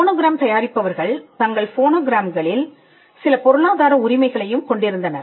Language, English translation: Tamil, The producers of phonograms also had certain economic rights in their phonograms